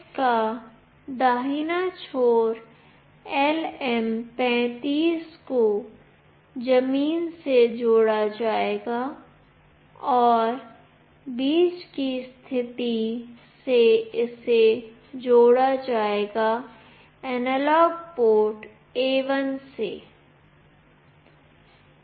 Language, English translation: Hindi, The right end of this LM 35 will be connected to ground, and from the middle position it will be connected to the analog port A1